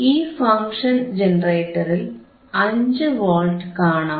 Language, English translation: Malayalam, Let him focus on function generator theis is 5 Volt